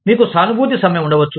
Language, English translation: Telugu, You could have a, sympathy strike